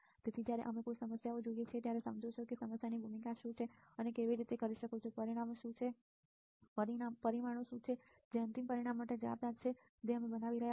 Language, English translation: Gujarati, So, when you see a problem you understand that; what is the role of this problem and how you can what are the parameters that are responsible for the resulting for the final result that we are designing for right